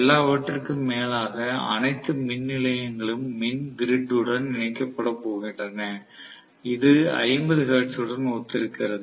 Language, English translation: Tamil, And after all, all the power stations are going to be connected to our power grid, which corresponds to 50 hertz